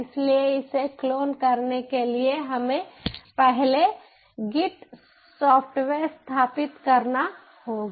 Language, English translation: Hindi, so in order to clone it, ah, we have to first ah install the git ah softwares